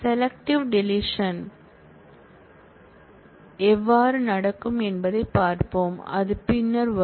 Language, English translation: Tamil, We will see how selective deletion will happen, that will come on later